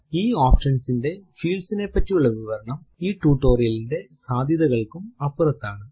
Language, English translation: Malayalam, Explanation of the fields of this option is beyond the scope of the present tutorial